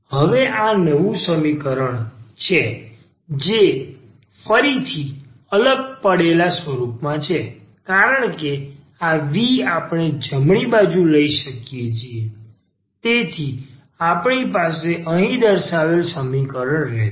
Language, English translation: Gujarati, So, this is new equation which is again in separable form because this v we can take to the right hand side, so we have f v minus v